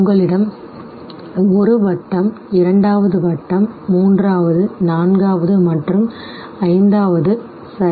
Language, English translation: Tamil, You have one circle, the second circle, third, the fourth and the fifth